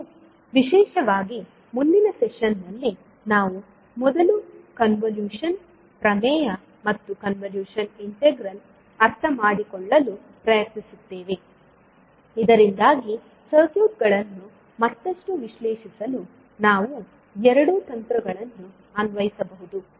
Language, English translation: Kannada, And particularly in next session, we will first try to understand, what do you mean by convolution theorem and convolution integral, so that we can apply both of the techniques to further analyze the circuits